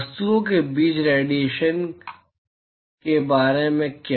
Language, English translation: Hindi, What about the radiation between the objects